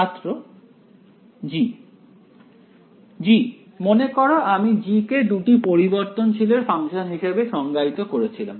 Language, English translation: Bengali, g; g remember I have defined as a function of two variables right